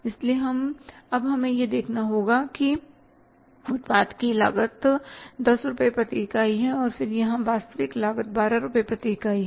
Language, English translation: Hindi, So now we have to see that budgeted cost of the product is 10 rupees per unit and then actual cost here is that is 12 rupees per unit